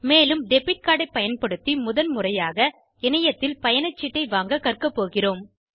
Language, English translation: Tamil, I will also demonstrate the first time use of a debit card and how to use this to purchase the ticket online